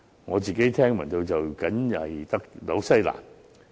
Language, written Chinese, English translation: Cantonese, 我自己聽聞的，僅新西蘭而已。, The only exception as far as I have heard is New Zealand